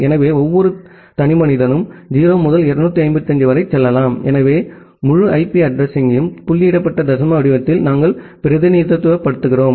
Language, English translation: Tamil, So, the every individual chunk can go from 0 to 255, so that is the way we represent the entire IP address in the dotted decimal format